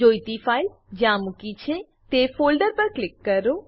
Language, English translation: Gujarati, Click on the folder where the required file is located